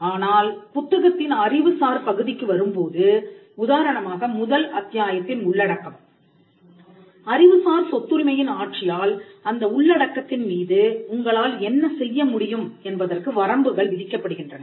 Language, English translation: Tamil, But when it comes to the intellectual part of the book, for instance, content that is in chapter one there are limitations put upon you by the intellectual property rights regime as to what you can do with that content